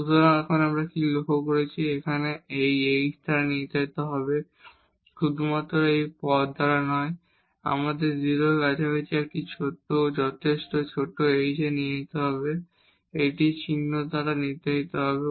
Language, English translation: Bengali, So, what we will notice here the sign will be determined by this h only not by these terms here, but we have to go to a sufficiently small h close to 0 to see that this will be determined by the sign of this one